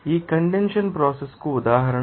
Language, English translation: Telugu, An example for this condensation process